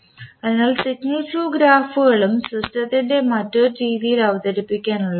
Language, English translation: Malayalam, So, Signal Flow Graphs are also an alternative system representation